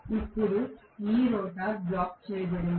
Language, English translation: Telugu, Now, this rotor is blocked